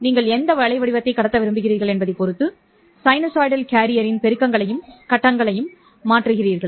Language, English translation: Tamil, You are changing both amplitude as well as phase of the sinusoidal carrier depending on what waveform you want to transmit